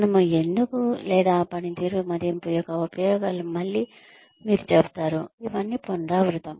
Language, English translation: Telugu, Why should we, or the uses of performance appraisal again, you will say that, this is all a repetition